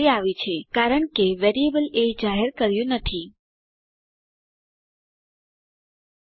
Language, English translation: Gujarati, It occured, as the variable a was not declared